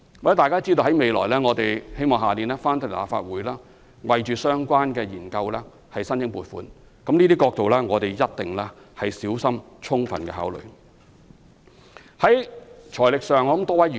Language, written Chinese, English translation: Cantonese, "我們希望來年向立法會就相關研究申請撥款，我們一定會小心充分考慮這些憂慮。, We plan to seek funding approval from the Legislative Council for relevant studies and will certainly give full and careful consideration to such worries